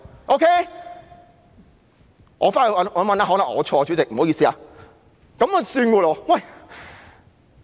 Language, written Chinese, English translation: Cantonese, "——我回去翻查一下，可能我錯了，主席，不好意思。, I will go back and check this . I may have misquoted his words . Sorry about that President